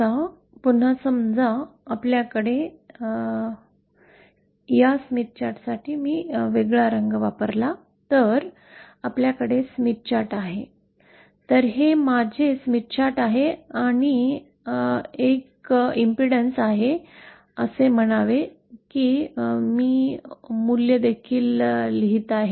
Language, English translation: Marathi, Now suppose again we have our Smith Chart if I use a different color for this Smith ChartÉso this is my Smith Chart and say I have an impedance say IÕll write the value also